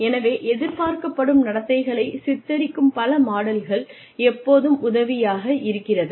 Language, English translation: Tamil, So, several models portraying the expected behaviors always helps